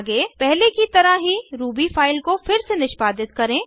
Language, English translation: Hindi, Next execute the Ruby file again, like before